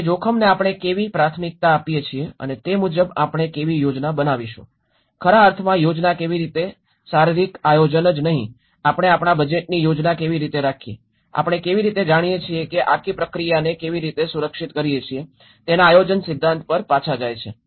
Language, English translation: Gujarati, It goes back to the planning principles of how we prioritize the risk and how we plan accordingly, how plan in the sense is not only the physical planning, how we plan our budgets, how we secure the whole process you know, that is how we have discussed